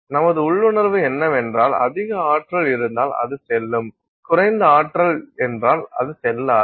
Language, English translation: Tamil, So, our intuition is that more energy means it will go through, less energy means it will not go through